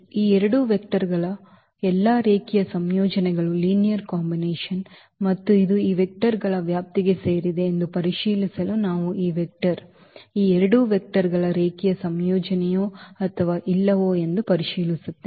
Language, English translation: Kannada, All linear combinations of these two vectors and to check whether this belongs to this a span of this these vectors on we will just check whether this vector is a linear combination of these two vectors or not